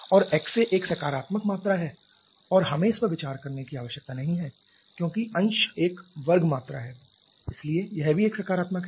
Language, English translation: Hindi, And in the X A is a positive quantity and we do not need to consider that because the numerator is a square quantity so that is also a positive